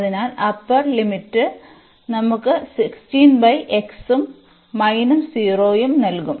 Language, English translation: Malayalam, So, upper limit will give us 16 by x and minus the 0